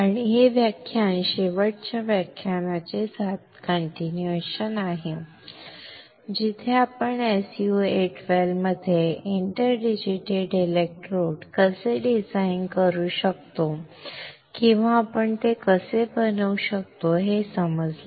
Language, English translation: Marathi, And, this lecture is continuation of the last lecture where we understood how we can design or we can fabricate interdigitated electrodes in an SU 8 well